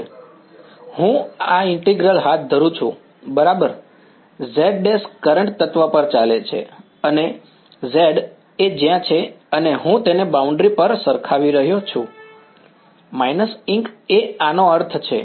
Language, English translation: Gujarati, If I carry out this integral; right, z prime runs over the current element and z is where it is and I am matching it on the boundary by equating it to minus E incident that is the meaning of this right